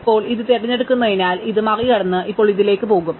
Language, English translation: Malayalam, So, now we pick this one, so we throw this away and now we will go to this one